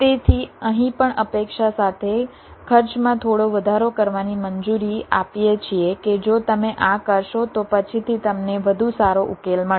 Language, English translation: Gujarati, so here, also allowing some increase in cost, with the expectation that if you do this may be later on you will get a better solution